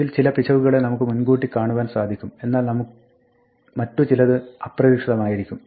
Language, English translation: Malayalam, Some of these errors can be anticipated whereas, others are unexpected